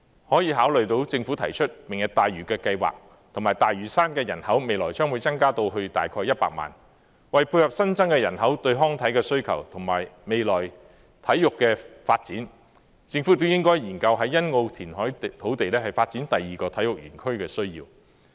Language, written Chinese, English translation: Cantonese, 考慮到政府提出"明日大嶼"計劃，以及大嶼山的人口未來將會增至大概100萬人，為配合新增人口對康體的需求，以及未來體育的發展，政府亦應研究在欣澳填海土地發展第二個體育園區的需要。, In light of the proposed Lantau Tomorrow project and the projection of 1 million population on Lantau the Government should also study the need to develop a second sports park on the reclaimed land at Sunny Bay in order to meet the demand of the new population for recreation and sports and the need for future sports development